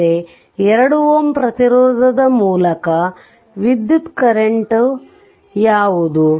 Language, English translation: Kannada, That means what is the current through 2 ohm resistance